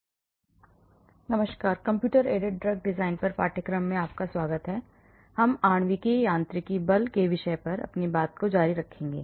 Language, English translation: Hindi, Hello everyone, welcome to the course on computer aided design we will continue on the topic of molecular mechanics forcefield